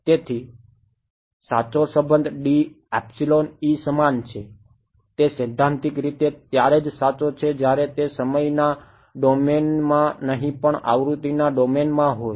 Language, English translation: Gujarati, So, the correct the relation D is equal to epsilon E is theoretically correct only when these are in the frequency domain not in the time domain right